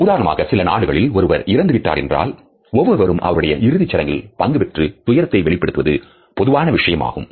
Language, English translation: Tamil, For example, in some countries when a person passes away it is common for individuals to attend a funeral and show grief